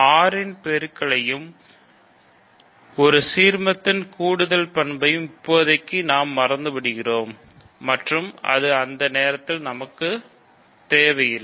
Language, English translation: Tamil, So, we can consider basically just forgetting the multiplication on R and the additional property of an ideal we forget for the moment or we do not need that for the moment